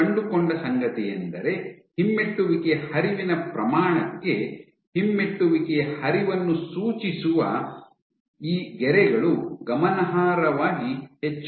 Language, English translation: Kannada, They found again these streaks indicating retrograde flow to the magnitude of the retrograde flow increase significantly